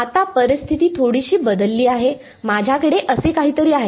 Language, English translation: Marathi, Right now the situation has changed a little bit, I have something like this